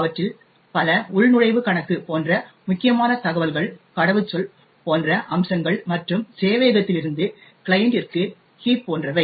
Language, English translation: Tamil, Many of them are critical information such as the login account and so on, aspects such as the password and so on heap from the server to the client